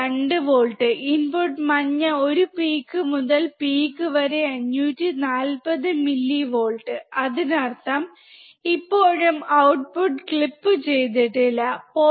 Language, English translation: Malayalam, 2 volts at the output, and the input is yellow one peak to peak 540 millivolts; that means, still the output has not been clipped so, 0